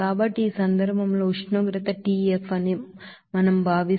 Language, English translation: Telugu, So in this case if we consider that temperature is tF